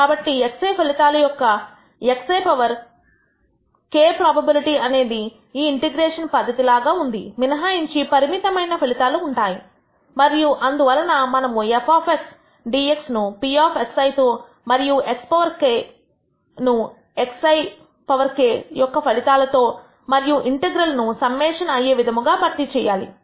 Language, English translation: Telugu, So, x I power k probability of obtaining the outcome x I which is very similar to this integration procedure except that the finite number of outcomes and therefore, we have replaced the probability f of xdx with p of x I and the value x power k with the outcome x I power k and integral as a summation